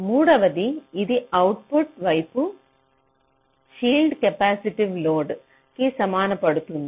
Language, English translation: Telugu, and thirdly, it can help shield capacitive load on the output side